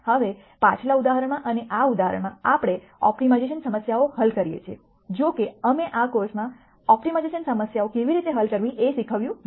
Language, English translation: Gujarati, Now, in the previous example and in this example, we are solving these op timization problems; however, we have not taught in this course how to solve optimization problems